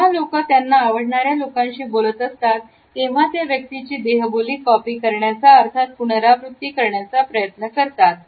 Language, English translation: Marathi, When people converse with people they like, they will mirror or copy the other person’s body language